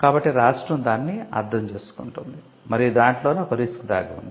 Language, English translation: Telugu, So, the state understands that and that is where the risk is involved